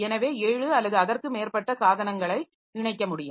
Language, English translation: Tamil, So, seven or more devices can be connected